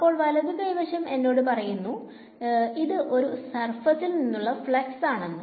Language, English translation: Malayalam, So, the right hand side is telling me it is the flux of a from some surface